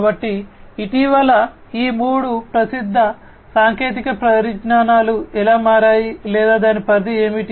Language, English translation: Telugu, So, this is how these three you know recently popular technologies have become or what is what is what is there scope